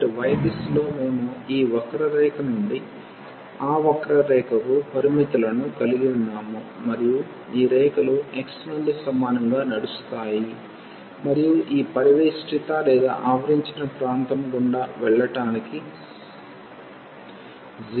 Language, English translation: Telugu, So, in the direction of y we have the limits from this curve to that curve, and these lines will run from x is equal to 0 to x is equal to 1 to go through all this enclosed area